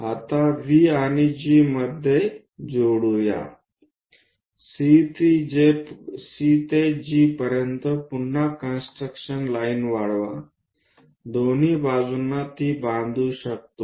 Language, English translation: Marathi, Now, join V and G, a construction line again from C all the way to G extend it, on both sides one can construct it